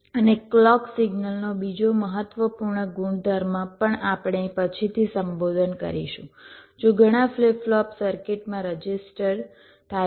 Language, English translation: Gujarati, and another important property of the clock signal this also we shall be addressing later that if there are many flip flops are register in circuit